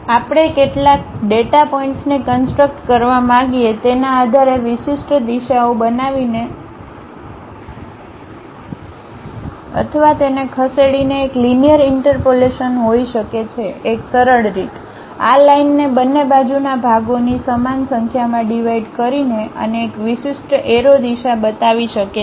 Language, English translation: Gujarati, So, based on how many data points we would like to construct one can have a linear interpolation by creating or moving along a specialized directions one of the easiest way is dividing this line into equal number of parts on both sides and showing one particular arrow direction and try to loft along that surfaces